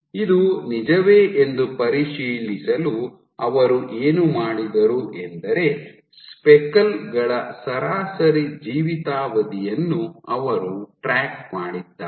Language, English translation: Kannada, So, this they also what they did to check whether this is true they tracked the average lifetime of the speckles